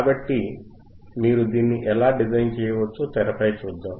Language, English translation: Telugu, So, let us see on the screen, how it how you can design this